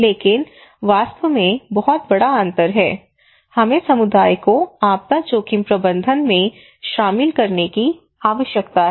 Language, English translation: Hindi, But in reality, there is a huge gap we are asking that okay we need to involve community into disaster risk management